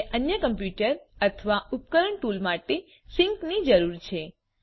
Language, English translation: Gujarati, You need sync to other computer or device tool